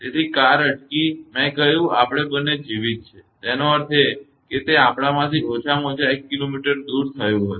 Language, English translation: Gujarati, So, car stopped I said we both are alive; that means, it has happened at least 1 kilometer away from us